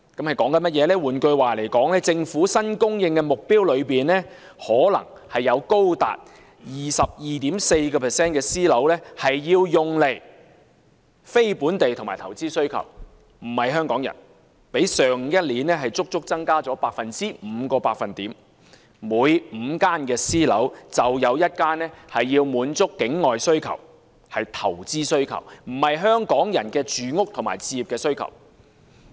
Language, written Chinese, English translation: Cantonese, 換言之，在政府新供應的目標中，可能會有高達 22.4% 的私樓要用來滿足非本地及投資需求，並非供應給香港人，較上年足足增加了5個百分點，即每5個私人單位就有1個用於滿足境外或投資需求，而非用來滿足香港人的住屋和置業需求。, In other words in the new supply target projected by the Government as high as 22.4 % of private housing will serve to satisfy non - local and investment demands rather than the needs of Hong Kong people . The figure presents an increase of five percentage points over the previous year and that means one out of five private units will serve to satisfy the demand from outside Hong Kong or of investment rather than to meet the housing and home ownership needs of Hong Kong people